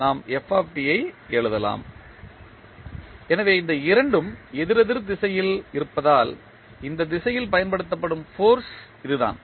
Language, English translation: Tamil, We can write f t, so that is the force which is applying in this direction since these two are in the opposite direction